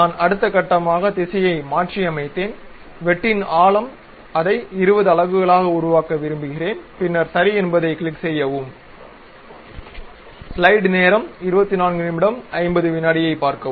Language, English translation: Tamil, So, I went ahead, reversed the direction may be depth of cut I would like to make it something like 20 units and then click ok